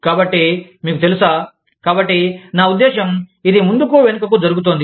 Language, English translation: Telugu, So, you know, so, i mean, this back and forth is going on